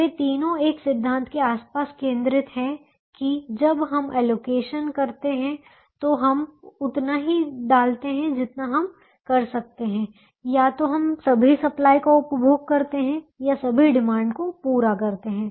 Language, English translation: Hindi, all three of them are centered around a principle: that when we make an allocation, we put as much as we can, which means we either consume all the supply or exhaust all the demand